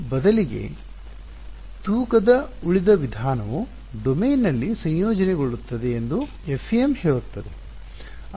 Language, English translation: Kannada, So, instead FEM says weighted residual method integrate over domain